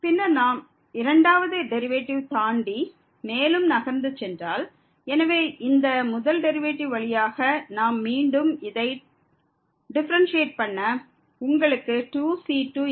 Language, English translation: Tamil, Then if we move further, than the second derivative, so out of this first derivative we can again differentiate this you will get here 3 times 2 into and so on and then we can repeat this process further to get the th order derivatives